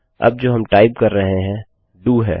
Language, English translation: Hindi, Now what we type is DO